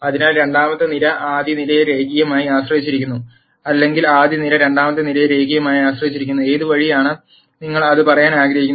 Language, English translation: Malayalam, So, the second column is linearly dependent on the first column or the first column is linearly dependent on the second column, whichever way you want to say it